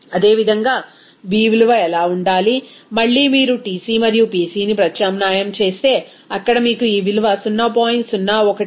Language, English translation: Telugu, Similarly, what should be the b value, again if you substitute the Tc and Pc, there you will get this value 0